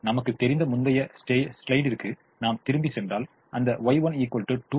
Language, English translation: Tamil, if you go back to the previous slide, we know that y one is equal to two